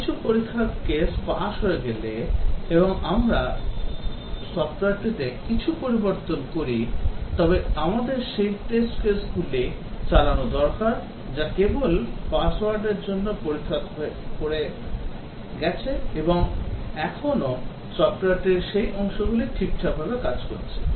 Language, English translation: Bengali, Once some test cases have passed and we change something to the software we need to run those test cases which have passed just to check that still those parts of the software are working all right